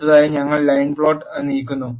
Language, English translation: Malayalam, Next we move the line plot